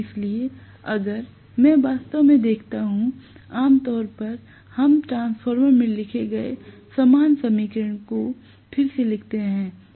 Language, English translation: Hindi, So, if I actually look at, if there are normally we write the equation again similar to what we wrote in the transformer